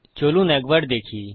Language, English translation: Bengali, So lets have a look